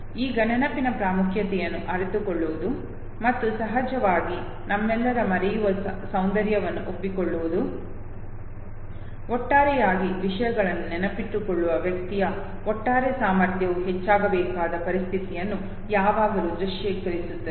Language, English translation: Kannada, Now realizing the importance of memory and also of course accepting the beauty of forgetting all of us would always visualize of situation where the overall capacity of the individual to memorize things should multiply should increase